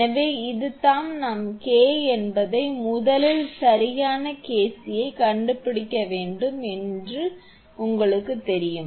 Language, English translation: Tamil, So, this is this we know that it is we have to find out the K first right KC